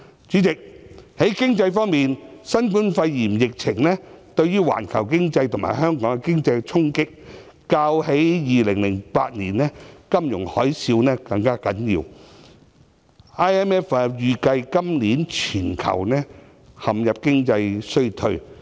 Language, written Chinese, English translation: Cantonese, 主席，在經濟方面，新冠肺炎疫情對於環球經濟及香港經濟的衝擊，較2008年金融海嘯更嚴重，國際貨幣基金組織預計今年全球陷入經濟衰退。, President as far as the economy is concerned the blow dealt by the novel coronavirus epidemic to the global and Hong Kong economy is more serious than that of the financial tsunami in 2008 . The International Monetary Fund has estimated that the whole world will experience economic recession this year